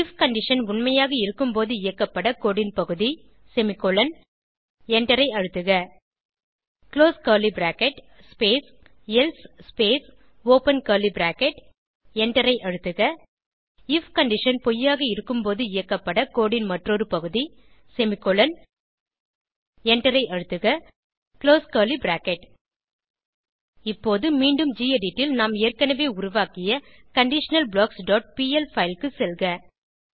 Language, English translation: Tamil, piece of code semicolon to be executed when if condition is true, Press Enter close curly bracket space else space open curly bracket Enter another piece of code semicolon to be executed when if condition is false Press Enter close curly bracket Now again, go to the conditionalBlocks.pl file which we have already created in gedit